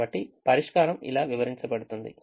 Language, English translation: Telugu, so this is how the solution has to be interpreted